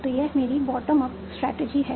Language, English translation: Hindi, So this is my bottom of strategy